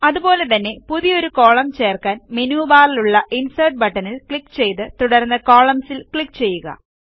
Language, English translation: Malayalam, Similarly, for inserting a new column, just click on the Insert button in the menu bar and click on Columns